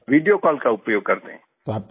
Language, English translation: Hindi, Yes, we use Video Call